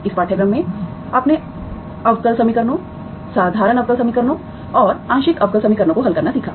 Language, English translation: Hindi, In this course you have learnt how to solve differential equations, ordinary differential equations as well as partial differential equations